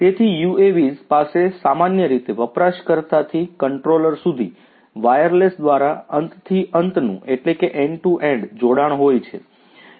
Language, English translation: Gujarati, So, UAVs have an end to end connection typically via wireless from the user to the controller